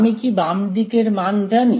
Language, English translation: Bengali, Do I know the value of the left hand side